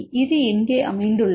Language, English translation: Tamil, So, where this is located